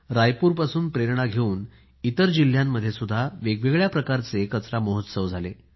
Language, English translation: Marathi, Raipur inspired various types of such garbage or trash festivals in other districts too